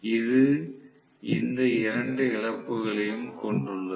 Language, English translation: Tamil, So, this is consisting of both these losses